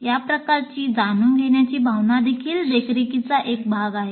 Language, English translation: Marathi, So this kind of feelings of knowing is also part of monitoring